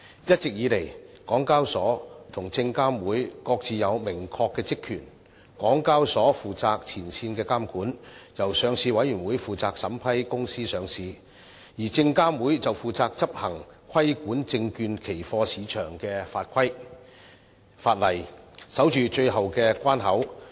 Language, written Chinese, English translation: Cantonese, 一直以來，港交所和證監會各自有明確的職權，港交所負責前線監管，由上市委員會負責審批公司上市，而證監會則負責執行規管證券期貨市場的法例，守住最後關口。, There has all along been a clear division of functions between the Hong Kong Exchanges and Clearing Limited HKEx and SFC . HKEx is responsible for frontline regulatory work and its Listing Committee takes care of the approval of listing applications while SFC enforces the laws on regulating the securities and futures market as the last line of defence